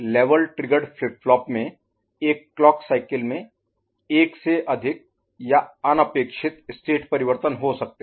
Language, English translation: Hindi, In a level triggered flip flop there can be more than one or unintended state change in one clock cycle